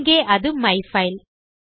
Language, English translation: Tamil, So well use myfile here